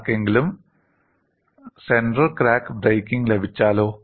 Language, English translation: Malayalam, And what about any one has got the center crack breaking